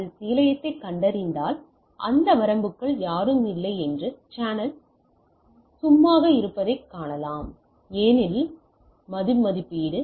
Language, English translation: Tamil, So, if it finds the station it find the channel is idle that nobody is within that range because, the revaluation